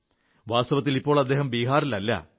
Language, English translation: Malayalam, In fact, he no longer stays in Bihar